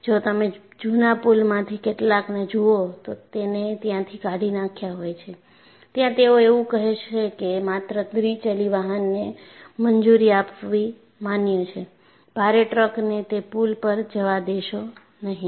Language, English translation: Gujarati, In fact, if you look at some of the old bridges, they would have discarded it; they would say that its permissible to allow only two wheelers; they will not allow heavy truck to go on that bridge